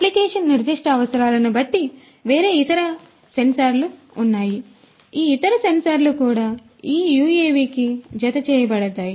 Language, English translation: Telugu, And like this there are different other sensors depending on the application specific requirements, these other sensors could also be attached to this UAV